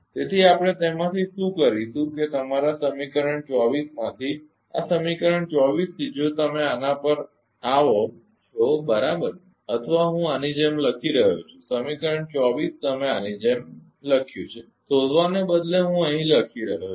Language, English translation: Gujarati, So, what will do from that your from equation 24, right from this equation 24 if you come to this right ah or I am writing like this that equation 24 you are written like this know rather than searching I am writing here